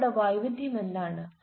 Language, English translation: Malayalam, what is their variety